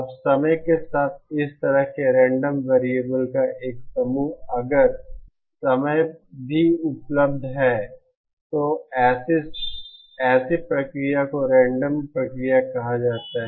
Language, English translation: Hindi, Now, an ensemble of such random variables over trying if time is also now available, then such a process is called a random process